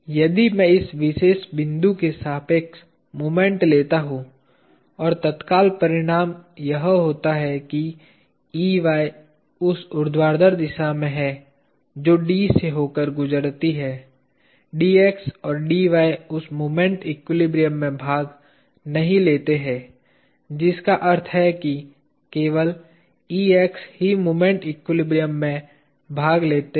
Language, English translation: Hindi, if I take moment about this particular point and immediate result is that Ey is along the vertical direction that passes through D; Dx and Dy do not take part in that moment equilibrium; which means only Ex takes part in the moment equilibrium